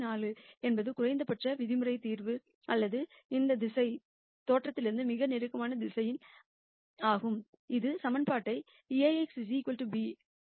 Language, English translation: Tamil, 4 is the minimum norm solution or this vector is the closest vector from the origin; that satisfies my equation A x equal to b